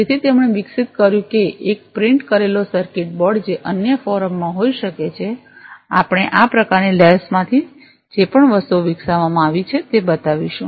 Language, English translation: Gujarati, So, he developed a printed circuit board may be in other forum we will show those kind of things whatever has been developed from this lab